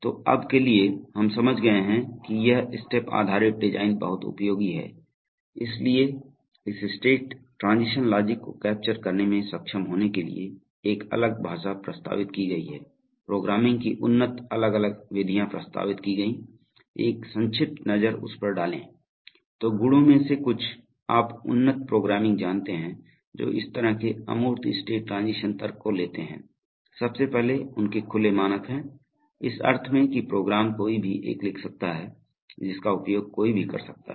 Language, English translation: Hindi, So for now, we have understood that this step based design is very useful, so therefore to be able to capture this state transition logic, a separate language has been proposed, separate methods of programming advanced programming is have been proposed and we are going to take a brief look at that, so some of the merits of this kind of, you know advanced programming which takes this kind of abstract state transition logic, firstly because they are, they have open standards, in the sense that anybody can write a program which can be used by somebody else